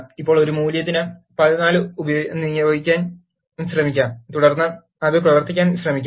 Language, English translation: Malayalam, So now, let us try to assign value 14 for a and then try to run it